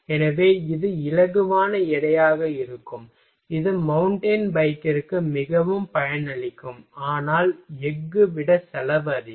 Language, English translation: Tamil, So, it will be lighter weight that will be very beneficial for mountain bike, but cost is higher than the steel